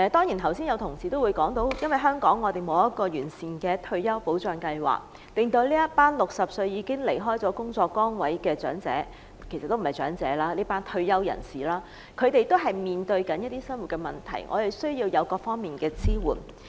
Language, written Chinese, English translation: Cantonese, 剛才有同事說，因為香港沒有完善的退休保障計劃，令60歲已經離開工作崗位的長者——其實他們不是長者——這群退休人士面對一些生活問題，需要各方面的支援。, Supporting them on all fronts means not simply disburshing welfare . Just now some Honourable colleagues said that due to the absence of a comprehensive retirement protection scheme in Hong Kong elderly people aged 60 who have retired from their jobs―actually they are not elderly people―this group of retirees face livelihood problems and need support on all fronts